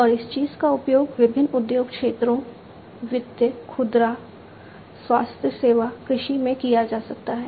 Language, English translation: Hindi, And, this thing can be used in different industry sectors, finance, retail, healthcare, agriculture